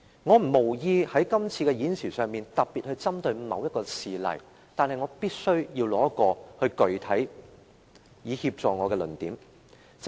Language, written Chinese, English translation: Cantonese, 我無意在今次的發言中特別針對某一事例，但我必須提出一宗具體事例，以協助我闡明論點。, I do not intend to target any particular case in this speech but I must cite a specific example to help illustrate my arguments